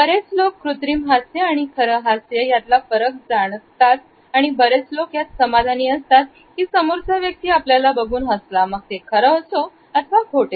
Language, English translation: Marathi, Most people can consciously differentiate between a fake smile and a real one, and most of us are content to someone is simply smiling at us, regardless of whether its real or false